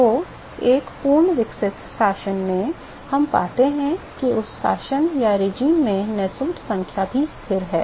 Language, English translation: Hindi, So, in a fully developed regime so, we find that Nusselt number is also a constant in that regime